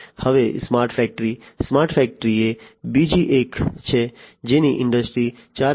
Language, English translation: Gujarati, Now, smart factory smart factory is another one which is talked a lot in the context of Industry 4